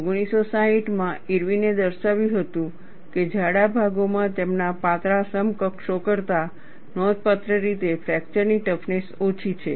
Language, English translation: Gujarati, In 1960, Irwin demonstrated that, thick sections have markedly lower fracture toughness than their thin counterparts